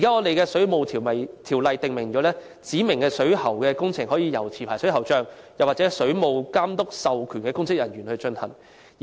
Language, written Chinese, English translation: Cantonese, 現行《水務設施條例》訂明，指明水管工程可由持牌水喉匠或水務監督授權的公職人員進行。, The existing Waterworks Ordinance stipulates that specified plumbing works can be carried out by a licensed plumber or a public officer authorized by the Water Authority